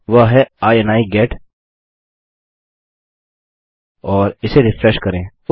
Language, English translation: Hindi, That is ini get and lets refresh that